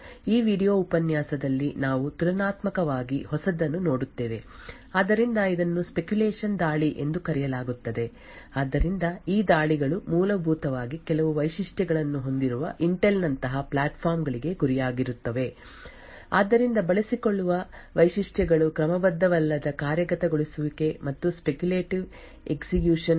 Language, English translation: Kannada, In this video lecture we will look at something which is relatively new, so it is known as speculation attacks so these attacks are essentially targeted for Intel like platforms which have certain features, so the features which are exploited are the out of order execution and the speculative execution